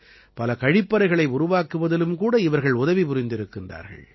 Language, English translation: Tamil, It has also helped in the construction of many toilets